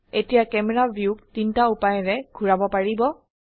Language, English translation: Assamese, Now you can move the camera view in three ways